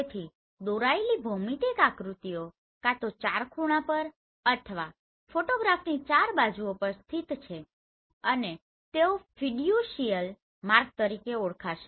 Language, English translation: Gujarati, So optically projected geometric figures located either at the four corners or on the four sides of the photograph and they are known as Fiducial marks